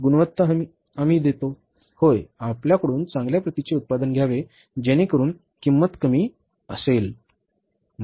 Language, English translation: Marathi, Quality we will ensure that, yes, we have to have the good quality product from you so that the cost remains minimum